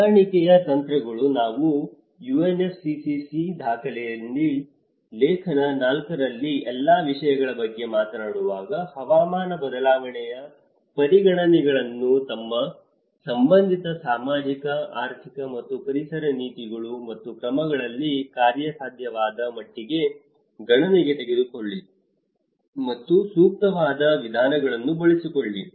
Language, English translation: Kannada, Adaptation strategies; when we talk about all parties in article 4 in UNFCCC document; take climate change considerations into account to the extent feasible in their relevant social, economic and environmental policies and actions and employ appropriate methods